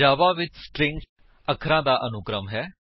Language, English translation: Punjabi, String in Java is a sequence of characters